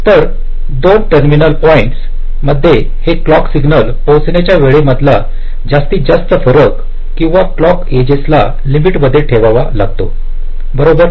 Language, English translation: Marathi, so across any two terminal points, the maximum difference in the arrival time of the clock signal or the clock edges should be kept within a limit